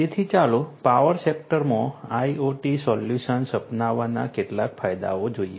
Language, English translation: Gujarati, So, let us look at some of the advantages of the adoption of IoT solutions in the power sector